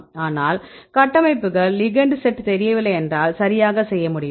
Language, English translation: Tamil, But if structures are not known, ligand sets are not known then can we a do right